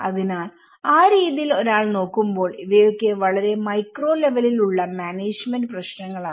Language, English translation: Malayalam, So, in that way, these are a very micro level management issues one has to look at it